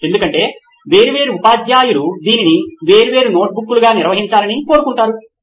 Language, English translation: Telugu, Because different teachers want it to be maintained as different notebooks